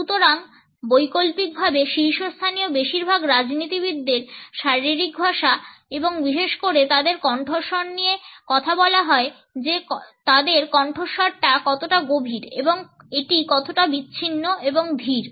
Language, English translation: Bengali, So, by variant most politicians at the very top will have talk about there body language and especially their voice tone how deep their voices and how emarginated and slow it is